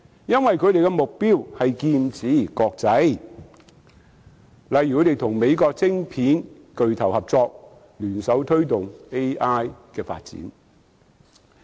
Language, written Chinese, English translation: Cantonese, 因為他們是劍指國際，例如他們與美國晶片巨頭合作，聯手推動 AI 發展。, The reason is that their target is the international market . For example they have cooperated with an American chip monger to jointly promote AI development